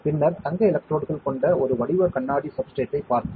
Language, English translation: Tamil, Then we saw a patterned glass substrate with the gold electrodes